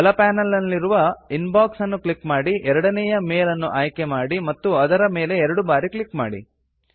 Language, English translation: Kannada, Click on Inbox and from the right panel, select the second mail and double click on it